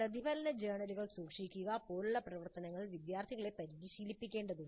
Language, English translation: Malayalam, Students may need to be trained in activities like maintaining reflective journals